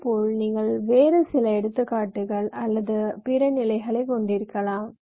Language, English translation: Tamil, similarly, you can have some other examples or other level